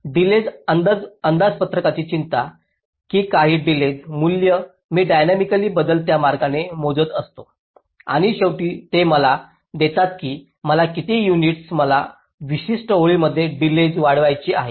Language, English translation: Marathi, delay budgeting concerns that, that some delay values i dynamically calculating in a alterative way and at the end it will give me by how much units i have to increase the delay in certain lines